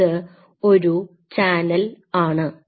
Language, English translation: Malayalam, So, so this channel